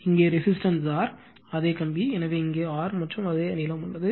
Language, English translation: Tamil, And the resistance here is R same wire, so here is R and same length